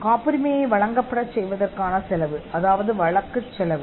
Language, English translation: Tamil, The cost of getting the patent granted; that is the prosecution cost